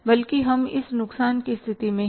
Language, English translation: Hindi, There rather we are at the state of loss